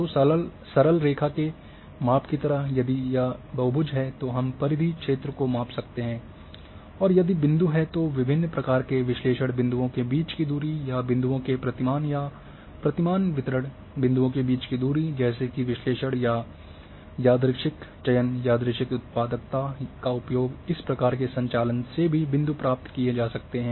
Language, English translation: Hindi, So, like measurement simple line and if it is polygon then we can measure the perimeter,area and if there are points then different type of analysis the distances between points or pattern distribution patterns of points that kind of analysis plus random selections, random generation of points can also be done in this types of operations